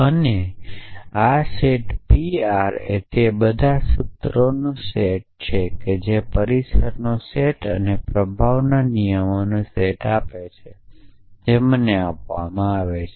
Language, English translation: Gujarati, And this set p r is a set of all those formulas which are provable given the set of premises and the set of rules of influences that are given to me essentially